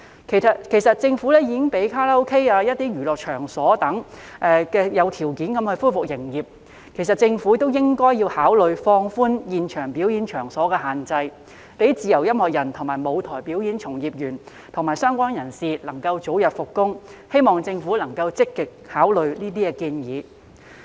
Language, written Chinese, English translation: Cantonese, 其實政府已經讓卡拉 OK、一些娛樂場所等有條件地恢復營業，政府亦應考慮放寬現場表演場所的限制，讓自由音樂人、舞台表演從業員及相關人士能夠早日復工，希望政府能夠積極考慮這些建議。, In fact the Government has already allowed karaokes and some places of entertainment to resume operation under certain conditions . The Government should also consider relaxing the restrictions on live performance venues so that freelance musicians stage performance practitioners and related personnel can resume work as early as possible . I hope that the Government can actively consider these proposals